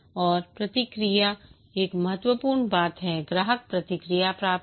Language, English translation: Hindi, Feedback, get customer feedback, encourage customer feedback